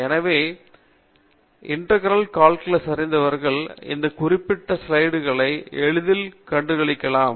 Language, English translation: Tamil, So, people who are familiar with integral calculus can very easily figure out this particular slide